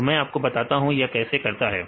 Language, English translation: Hindi, So, I will tell you how to do that